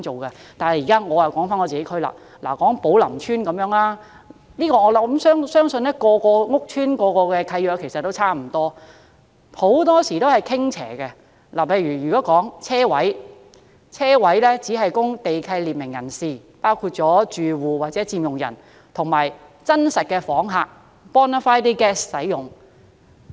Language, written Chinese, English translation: Cantonese, 說回我所屬地區，以寶林邨為例，我相信每個屋邨的契約也差不多，很多時也是傾斜的，例如泊車位只供地契列明人士，包括住戶、佔用人及真實訪客使用。, I believe the deed of every housing estate is more or less the same . Very often it is tilted . For example parking spaces are exclusively for persons specified in the land lease including residents occupiers and bona fide guests